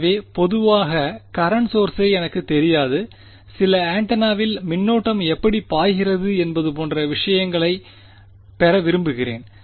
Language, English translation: Tamil, So, typically I do not know the current source and I do want to get into your details how the current is flowing in some antenna somewhere right